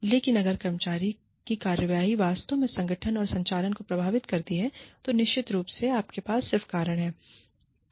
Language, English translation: Hindi, But, if the employee's actions, genuinely and truly affect the operations of the organization, then definitely, you have just cause